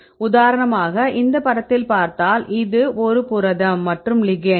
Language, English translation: Tamil, So, for example, the protein as well as the ligand